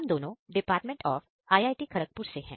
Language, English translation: Hindi, We both are from Department of Computer Science IIT, Kharagpur